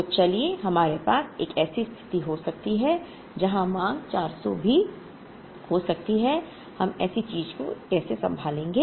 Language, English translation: Hindi, So,let us we can have a situation where the demand can even be 400, how do we handle such a thing